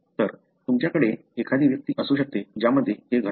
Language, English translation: Marathi, So, you may have an individual in which it happens